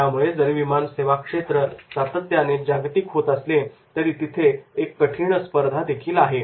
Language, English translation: Marathi, So, an important fact, even though the airline industry is increasingly global, but always there is a tough competition